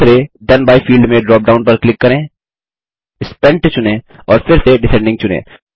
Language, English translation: Hindi, In the second Then by field, click on the drop down, select Spent and then, again select Descending